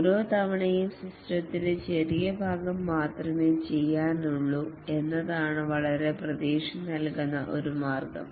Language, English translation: Malayalam, One way that has been considered very promising is that each time do only small part of the system